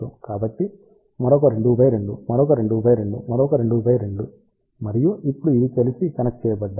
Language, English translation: Telugu, So, another 2 by 2, another 2 by 2, another 2 by 2 and now these are connected together